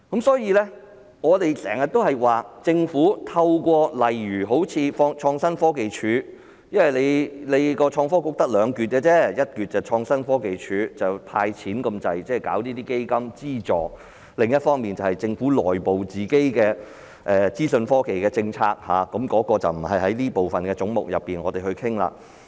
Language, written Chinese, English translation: Cantonese, 所以，我們經常說政府透過例如好像創新科技署......因為創新及科技局只有兩個部分而已，一個是創新科技署，幾乎只是"派錢"、成立基金資助，另一個便是政府內部的資訊科技政策，那個不是在這個總目內討論。, It is often said that the Innovation and Technology Bureau is made up of only two parts the Innovation and Technology Commission whose biggest function is to hand out cash and set up assistance funds and the Governments internal information technology policy which is not within the scope of discussion under this head